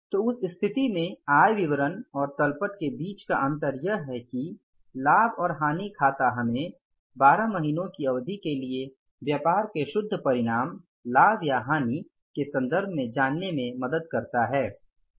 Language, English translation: Hindi, So, in that case, the difference between the income statement and the balance sheet is income statement or the profit and loss account helps us to know the net results of the business in terms of its profit or loss for a period of 12 months